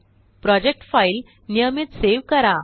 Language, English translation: Marathi, Save the project file regularly